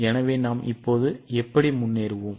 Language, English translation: Tamil, So, how will you go ahead now